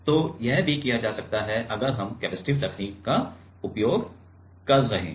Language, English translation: Hindi, So, that also can be done, if we are using capacitive technique ok